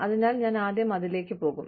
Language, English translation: Malayalam, So, I will get to it, first